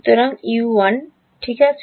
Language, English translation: Bengali, So, these are all U’s ok